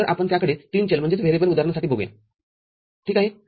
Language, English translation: Marathi, So, we look at it for the three variable example ok